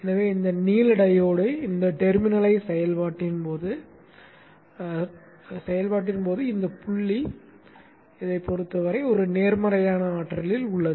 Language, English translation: Tamil, So when this blue diode is conducting this terminal, this point is at a positive potential with respect to this